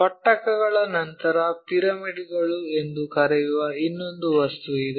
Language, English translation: Kannada, After prisms there is another object what we call pyramids